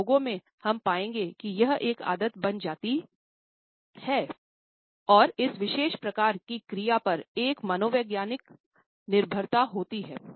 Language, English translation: Hindi, In some people, we would find that this becomes a habit and there is a psychological dependence on this particular type of an action